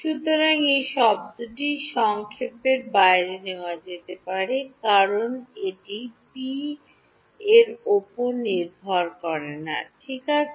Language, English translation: Bengali, So, this term can be taken outside the summation so, since it does not depend on p right